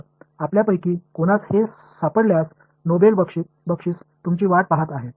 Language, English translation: Marathi, So, if any of you do find it there is a noble prize waiting for you